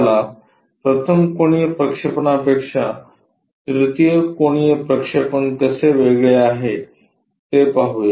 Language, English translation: Marathi, Let us look at how 3rd angle projection is different from 1st angle projection